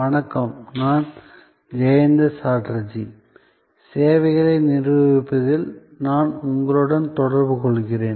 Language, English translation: Tamil, Hello, I am Jayanta Chatterjee and I am interacting with you on Managing Services